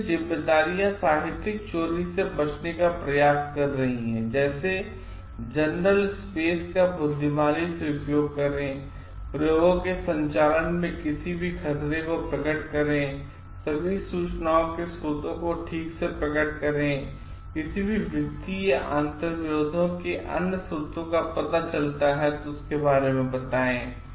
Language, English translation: Hindi, So, responsibilities are refraining from plagiarism, use journal space wisely, reveal any hazards in conduct of experiments if any report, all sources of information properly, reveal any financial or others sources of conflict